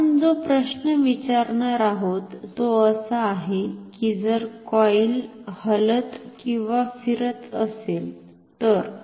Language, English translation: Marathi, So, the question that we are going to ask is what happens if the coil is moving or rotating